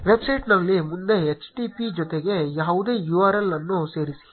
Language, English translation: Kannada, In the website add any URL with http in front